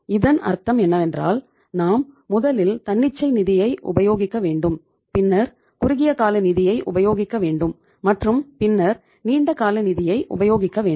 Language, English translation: Tamil, So it means first you go for spontaneous finance then you go for the short term finance and then you go for the long term sources of the finance